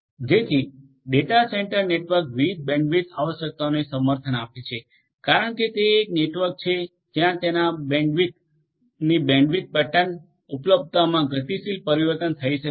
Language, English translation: Gujarati, So, data centre networks support different bandwidth requirements are there, there could be because it is a network you know there could be dynamic changes in the bandwidth pattern availability of their bandwidth and so on